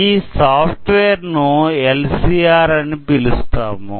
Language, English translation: Telugu, This is the software, it is called LCR